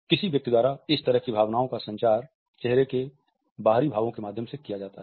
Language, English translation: Hindi, The main way a person communicates this emotion is through external expressions of the face